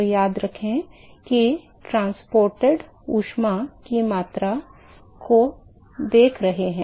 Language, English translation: Hindi, So, remember that we are looking at the amount of heat that is transported